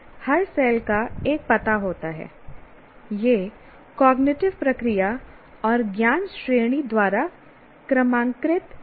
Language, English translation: Hindi, It can be numbered by the cognitive process and the knowledge category